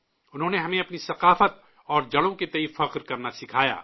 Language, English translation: Urdu, He taught us to be proud of our culture and roots